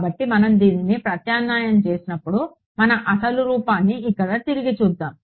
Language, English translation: Telugu, So, when we substitute this we can write this as let us look back at our original form over here